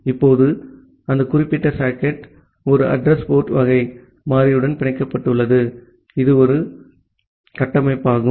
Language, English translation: Tamil, Now, that particular socket is bind to a address port kind of variable which is a structure